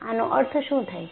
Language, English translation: Gujarati, What is the meaning of that